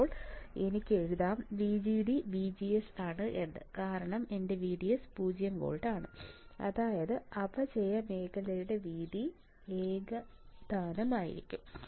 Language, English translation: Malayalam, So, I can write VGD should be equals to VGS because my VDS is 0 volt right; that means, width of depletion region will be uniform correct